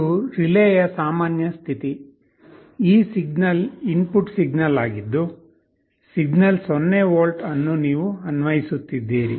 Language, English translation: Kannada, This is the normal state of the relay, where this signal this input signal that you are applying where signal is at 0 volts